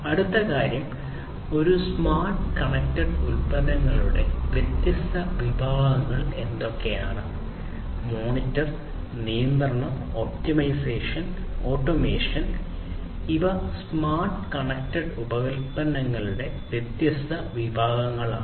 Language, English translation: Malayalam, The next thing is that; what are the different categories of these smart and connected products; monitor, control, optimization, and automation; these are these different categories of smart and connected products